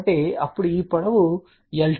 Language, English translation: Telugu, So, now this is the length l 2 which is 0